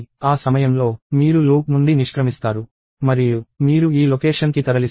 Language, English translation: Telugu, At that point, you exit the loop and you move to this location